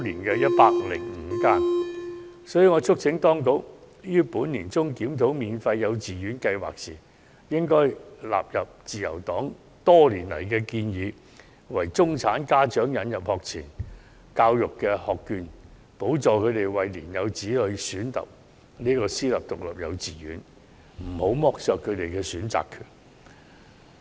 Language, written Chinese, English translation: Cantonese, 因此，我促請當局於本年年中檢討免費幼稚園計劃時，應納入自由黨多年來的建議，為中產家長引入學前教育學券，資助他們的年幼子女就讀私立獨立幼稚園，不要剝削他們的選擇權。, In view of this I urge the Administration to adopt the Liberal Partys recommendations in its mid - year review of the Free Quality Kindergarten Education Scheme which includes subsidizing middle - class parents with pre - school education vouchers for them to send their young children to private independent kindergartens . Please do not deprive them of the right to make choices